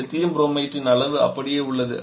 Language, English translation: Tamil, The amount of Lithium Bromide that remains same is not it